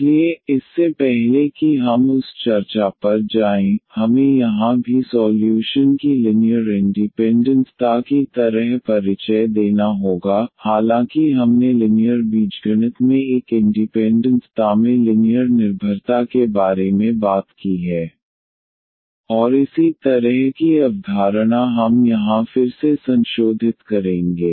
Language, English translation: Hindi, So, before we go to that discussion we need to also introduce here like linear independence of solution though we have talked about linear dependence in an independence in linear algebra and a similar concept we will just revise again here